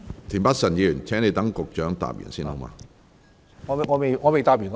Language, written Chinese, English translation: Cantonese, 田北辰議員，請待局長作答完畢後才提問。, Mr Michael TIEN please raise your question after the Secretary has finished giving his reply